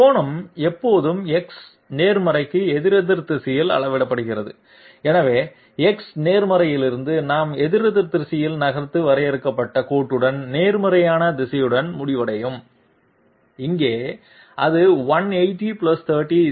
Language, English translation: Tamil, Angle is always measured counterclockwise to the X positive, so from X positive we move counterclockwise and end up with the positive direction with the defined line and here it is 180 + 30 = 210